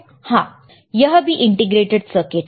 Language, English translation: Hindi, Yes, it is also integrated circuit